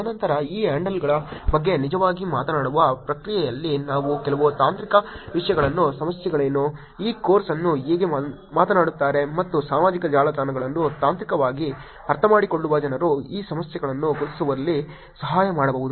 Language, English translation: Kannada, And then, over the process of actually talking about these handles I am also going to inject some technical topics in terms of what are the problems, how actually people talking this course and people understanding the social networks technically can also help in identifying these problems